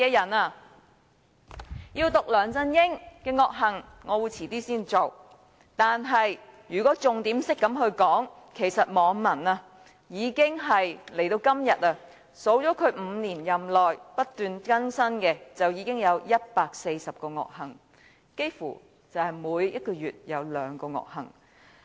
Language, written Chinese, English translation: Cantonese, 我稍後才會讀出梁振英的惡行，但如以重點來說，其實網民已數算他5年任內不斷更新的惡行，至今已有140項，幾乎每個月也有兩宗惡行。, I will read out his evil deeds later . Nevertheless insofar as the focus is concerned netizens have actually enumerated his ever - changing evil acts committed during his five - year tenure and the number has already reached 140 which translates into two evil acts monthly . Let me cite some examples randomly